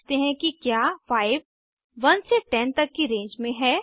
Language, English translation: Hindi, Now lets check whether 5 lies in the range of 1 to 10